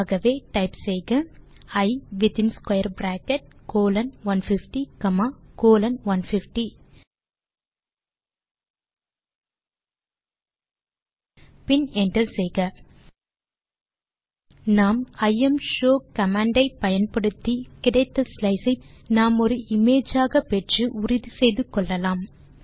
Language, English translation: Tamil, So type I within square bracket colon 150 comma colon 150 and hit enter We use the imshow command to see the slice we obtained in the form of an image and confirm